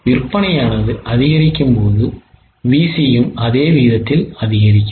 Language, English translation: Tamil, When sales increase, the VC also increases in the same proportion